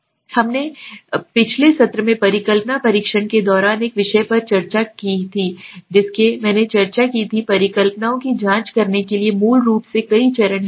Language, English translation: Hindi, Now let us get in to the subject during hypothesis testing in the last session also I had discussed there are basically several steps to check the hypotheses